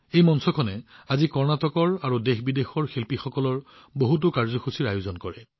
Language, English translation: Assamese, This platform, today, organizes many programs of artists from Karnataka and from India and abroad